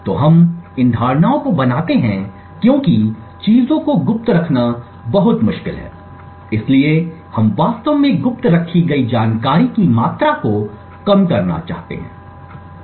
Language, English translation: Hindi, So, we make these assumptions because it is very difficult to keep things a secret, so we want to actually minimize the amount of information that is kept secret